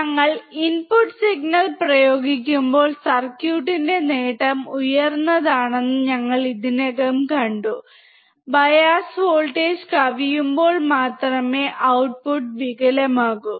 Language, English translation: Malayalam, We have already seen that when we apply input signal and the gain of the circuit is high, the output will be distorted only when it exceeds the bias voltage